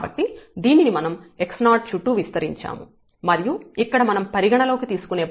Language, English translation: Telugu, So, x 0 where we have expanded this around and the point which we are considering here x 0 plus h